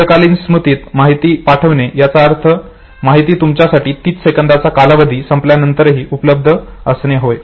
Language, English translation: Marathi, Pushing information towards long storage would mean that the information will now be available to you even after the lapse of 30 seconds duration